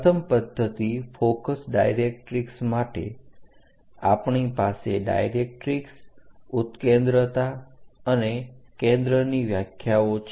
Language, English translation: Gujarati, For the first method focus and directrix method, we have a definition about directrix, eccentricity and focus